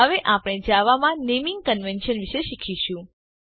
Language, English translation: Gujarati, We now see what are the naming conventions in java